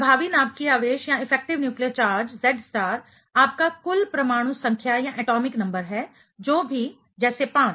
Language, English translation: Hindi, Effective nuclear charge Z star is your total atomic number whatever it is let us say 5